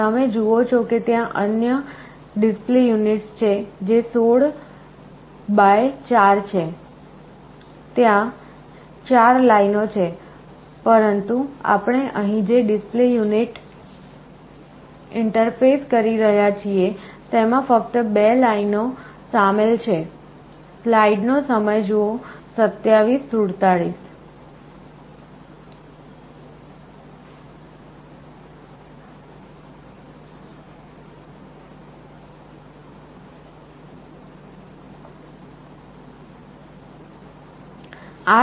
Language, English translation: Gujarati, You see there are other display units, which is 16 by 4, there are 4 lines, but the display unit that we are interfacing here consists of only 2 lines